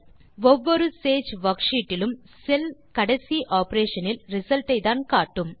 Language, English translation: Tamil, Each cell in a sage worksheet displays the result of only the last operation